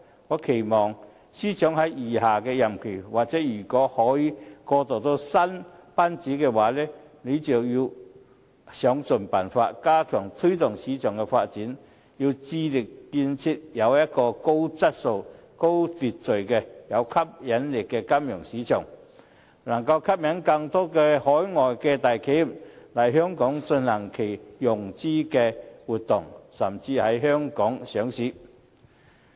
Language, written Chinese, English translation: Cantonese, 我期望司長在餘下的任期——或如果可以過渡到新班子——要想盡辦法，加強推動市場發展，致力建立高質素、有秩序、有吸引力的金融市場，俾能吸引更多海外大企業來港進行融資活動，甚至在香港上市。, I expect the Financial Secretary to in the remainder of his term―or if he can transit to the new governing team―make every effort to step up promoting market development and establish a high - quality and orderly financial market with great attraction so that more large overseas enterprises will be attracted to Hong Kong for financing activities or even listing